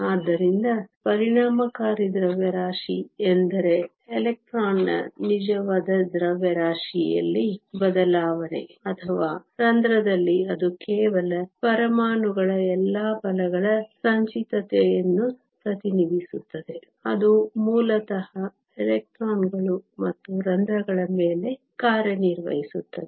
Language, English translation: Kannada, So, effective mass does not mean a change in the actual mass of the electron or the hole it just represents the cumulative of all the forces of the atoms in the lattice that basically acts on the electrons and holes